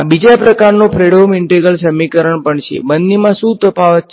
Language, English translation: Gujarati, Then you also have a Fredholm integral equation of the 2nd kind, what is the difference